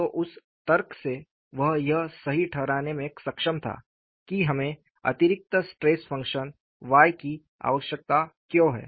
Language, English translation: Hindi, So, from that logic, he was able to justify why we need to have additional stress function y; and we would see, what was the implication of it